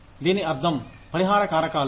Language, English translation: Telugu, That is what, compensation means